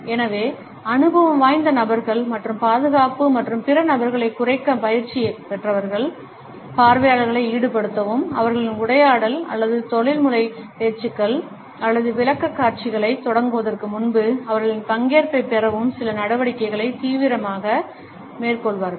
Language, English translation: Tamil, So, people who are experienced and people who have been trained to lower the defenses and other people will be actively taking certain actions to involve the audience and to get their participation before they actually begin either their dialogue or professional talks or presentations